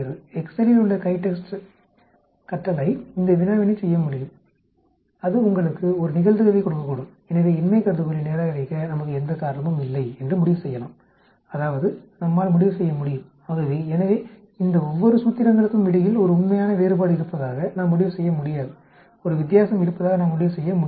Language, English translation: Tamil, The CHITEXT command in Excel can do this problem and it can give you a probability and so we can conclude that there is no reason for us to reject the null hypothesis that means, we can conclude, so we cannot conclude that there is a real difference between each of these formulations, we cannot conclude that there is a difference